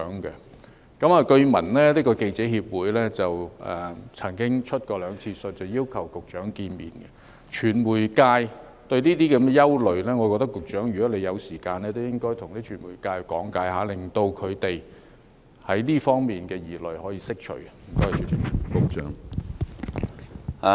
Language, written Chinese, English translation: Cantonese, 據聞香港記者協會曾經兩次去信要求與局長見面，就傳媒界對這方面的憂慮，我認為局長如果有時間，都應該向傳媒界講解，令他們在這方面的疑慮可以釋除。, It is learnt that the Hong Kong Journalists Association has written twice to ask for meeting with the Secretary . Concerning the worries of the media sector in this respect I think if the Secretary has time he should give an explanation to the media sector so that their worries in this aspect can be allayed